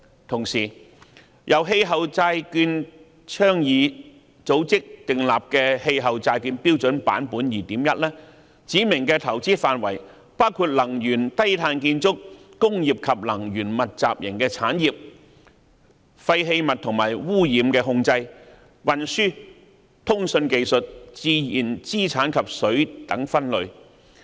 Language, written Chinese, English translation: Cantonese, 同時，由氣候債券倡議組織訂立的《氣候債券標準》版本 2.1 指明的投資範圍包括能源、低碳建築、工業及能源密集型產業、廢棄物和污染控制、運輸、通訊技術、自然資產及水等分類。, Meanwhile the investment areas contained in the Climate Bonds Standard version 2.1 introduced by the Climate Bonds Initiative include energy low carbon building industry and energy intensive commercial waste and pollution control transport information technology and communications nature based assets and water